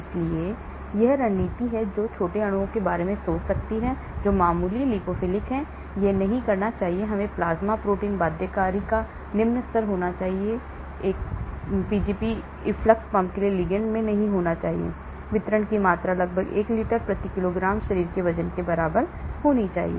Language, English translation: Hindi, so that is the strategy one can think about small molecules moderately lipophilic, it should not; it should have low level of plasma protein binding, it should have; it should not be in ligand for Pgp efflux pump, the volume of distribution should be around 1 litre per kg body weight,